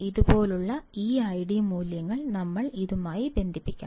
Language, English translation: Malayalam, We have to just connect this I D values like this, like this, like this